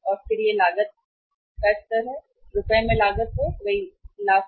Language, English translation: Hindi, And then it was carrying cost, carrying cost again in Rs, lakhs right